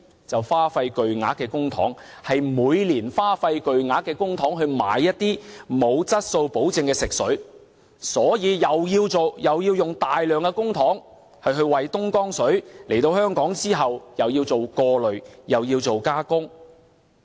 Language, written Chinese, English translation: Cantonese, 就是花費巨額公帑，是每年花費巨額公帑購買一些沒有質素保證的食水，所以又要花大量公帑為東江水來港後進行過濾和加工。, All we can do is to spend substantial public funds to purchase some fresh water with no quality assurance . As a result we have to spend substantial public money to process the filtration and treatment of the Dongjiang water